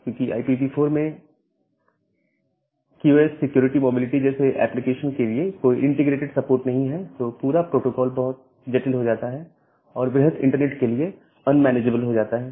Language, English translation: Hindi, Because there is no integrated support on IPv4 itself for this kind of application, QoS security mobility, the entire protocol became too complex and became unmanageable for a large internet